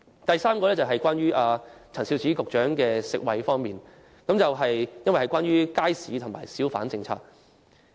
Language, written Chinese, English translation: Cantonese, 第四，這項原則與陳肇始局長負責的食衞範疇有關，因為有關街市和小販政策。, Fourthly this principle is related to food and health which are under the purview of Secretary Prof Sophia CHAN because they are concerned with the market and hawker policies